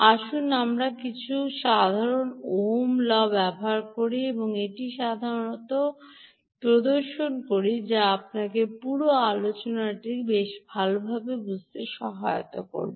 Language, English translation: Bengali, let us do some simple ohms law and demonstrate a simple concept here which will allow you to understand the whole discussion quite well